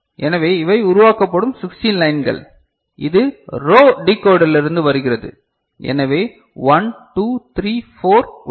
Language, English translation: Tamil, So, these are 16 lines that are generated; this is coming from the row decoder ok; so there are 1 2 3 4